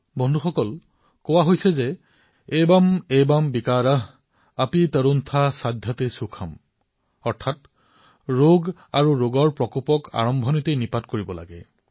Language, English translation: Assamese, Friends, we have an adage" Evam Evam Vikar, api tarunha Saadhyate Sukham"… which means, an illness and its scourge should be nipped in the bud itself